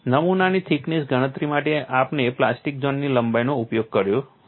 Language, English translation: Gujarati, For the specimen thickness calculation, we have utilized the plastic zone length